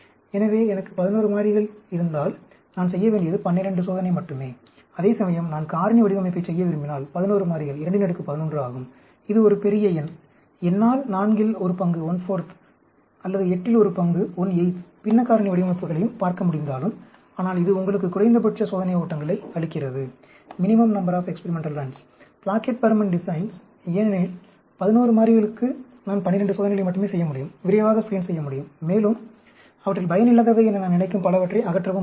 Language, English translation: Tamil, So, if I have 11 variables, all I have to do is a 12 experiment; whereas, if I want to do factorial design, 11 variables is 2 power 11, which is a huge number; even if I can of course look at one fourth or one eighth fractional factorial designs also, but, this gives you the minimum number of experimental runs, the Plackett Burman designs, because, for 11 variables, I can just do 12 experiments, quickly screen, and eliminate many of them which I think is of no use at all